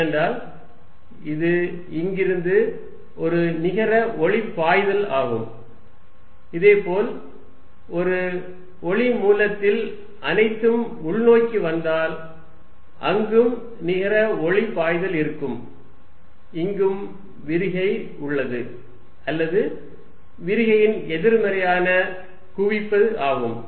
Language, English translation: Tamil, Because, this is a net flow light from here, similarly if I source of light in which everything is coming in there is a net flow of light in this is also divergent or negative of divergent convergent